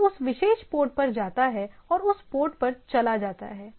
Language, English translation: Hindi, So, it goes on that particular port and goes on that port